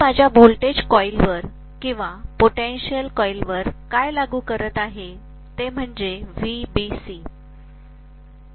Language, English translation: Marathi, What I am applying to my voltage coil or potential coil is VBC